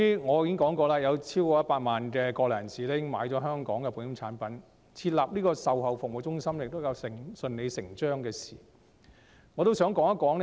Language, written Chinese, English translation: Cantonese, 我已經指出，由於有超過100萬國內人士已經購買香港的保險產品，設立售後服務中心是順理成章的事。, As I have pointed out since more than 1 million Mainlanders have already purchased insurance products in Hong Kong it is logical to set up an after - sales service centre